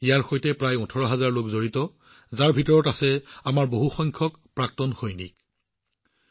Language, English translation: Assamese, About 18,000 people are associated with it, in which a large number of our ExServicemen are also there